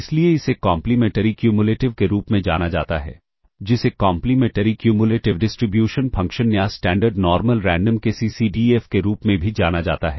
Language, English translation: Hindi, This is therefore, known as the Complementary Cumulative, also known as the Complementary Cumulative Distribution Function or the CCDF of the Standard Normal Random Variable